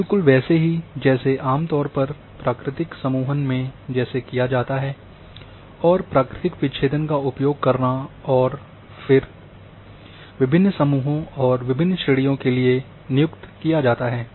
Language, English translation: Hindi, Exactly in the same way it is generally done that natural grouping are fine and using natural breaks and then for different groups and different grades are assigned